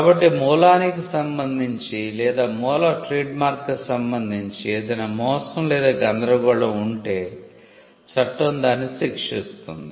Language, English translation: Telugu, So, if there is a deception or confusion with regard to the source or with regard to the origin trademark law will step in